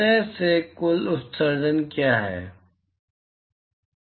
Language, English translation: Hindi, what is the total emission from surface i